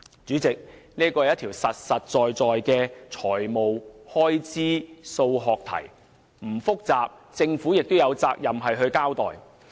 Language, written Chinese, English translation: Cantonese, 主席，這是一條實在的財務開支數學題，雖然並不複雜，但政府也有責任作出交代。, President this is a practical mathematical question on financial expenses and though not complicated the Government is obliged to give an account of it